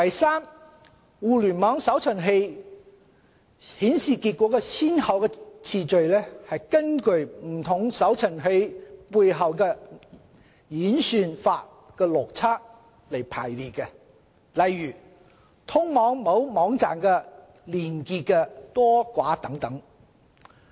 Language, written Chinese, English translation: Cantonese, 三互聯網搜尋器顯示結果的先後次序，是根據不同搜尋器背後演算法的邏輯來排列，例如通往某網站的連結多寡等。, 3 The sequence of results displayed by Internet search - engines is determined by certain underlying algorithms for example the number of backlinks to a website